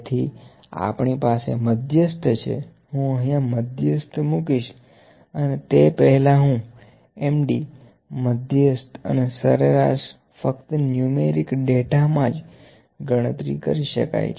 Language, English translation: Gujarati, So, we can have median, I will put median here, before median I will put Md median and mean can be calculated only in the numeric data